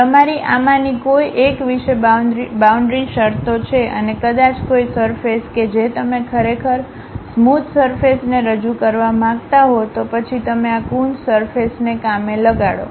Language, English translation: Gujarati, You have boundary conditions on one of these particular things and maybe a surface you would like to really represent a smooth surface, then you employ this Coons surface